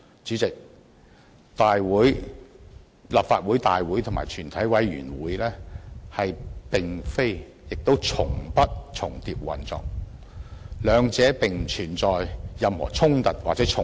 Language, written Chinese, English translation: Cantonese, 主席，立法會大會與全委會並非亦從不重疊運作，兩者並不存在任何衝突或重疊。, President the operations of the Legislative Council and a committee of the whole Council do not overlap and has never been overlapped . There are no conflicts or overlapping between the two